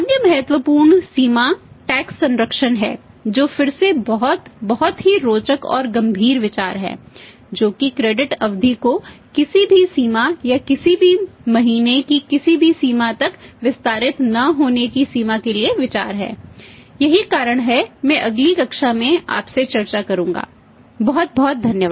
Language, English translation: Hindi, The Other important limitation is the text conservation which is again very very interesting and serious consideration that consideration for that limitation of not allowing the the credit period to be extended to any limit or any extent of any number of months that the reasons for that I discuss with you in the next class thank you very much